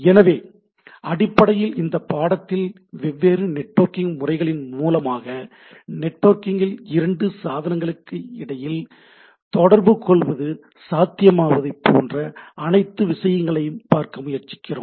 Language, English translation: Tamil, So, in this, basically in this course we try to look at, look whole thing in terms of different inter networking protocol which makes it possible to communicate between any two devices over the network